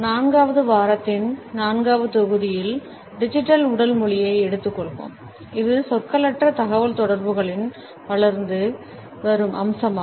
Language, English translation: Tamil, In the fourth module of the fourth week we would take up digital body language which is an emerging aspect of nonverbal communication